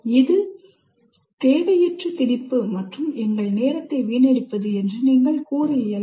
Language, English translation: Tamil, You cannot say that this is all an unnecessary imposition wasting our time